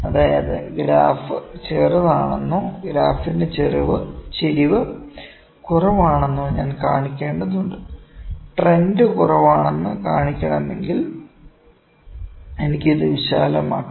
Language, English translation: Malayalam, That, that trend I need to show that the trend is small or the slope of the trend is lesser, if need to show that the trend is lesser, I can widen this thing, ok